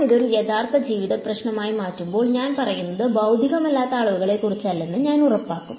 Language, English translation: Malayalam, When I convert this to a real life problem, I will make sure that I am not talking about unphysical quantities